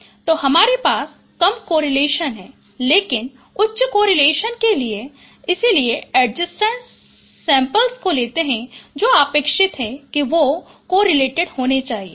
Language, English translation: Hindi, So you have less correlations but for high correlations it so for adjacent samples it is expected they should be very highly correlated